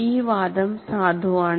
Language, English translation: Malayalam, That argument is valid